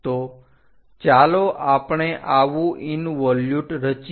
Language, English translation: Gujarati, So, let us construct such in involute